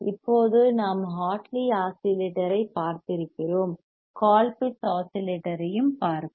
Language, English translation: Tamil, Now thatif we have seen Hartley oscillator; then, let us we also see Colpittt’s oscillator; why